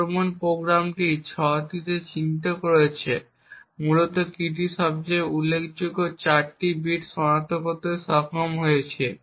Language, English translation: Bengali, The attack program has identified 6 essentially has been able to identify the most significant 4 bits of the key